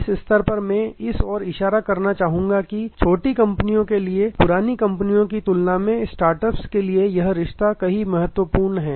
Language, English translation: Hindi, At this stage I would like to point out thus the relationship is far more important for younger companies, for startups than for much older companies